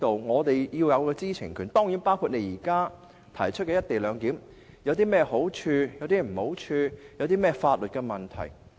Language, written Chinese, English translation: Cantonese, 我們是要有知情權的，當然亦包括現時政府提出的"一地兩檢"究竟有何好處或壞處和所涉及的法律問題。, We want to have the right to know among other things the pros and cons of the co - location arrangement currently proposed by the Government and also the legal issues involved of course